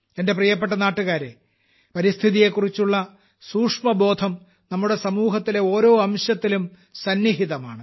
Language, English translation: Malayalam, My dear countrymen, sensitivity towards the environment is embedded in every particle of our society and we can feel it all around us